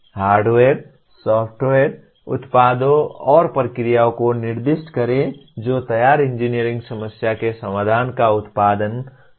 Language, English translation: Hindi, Specify the hardware, software, products and processes that can produce the solution to the formulated engineering problem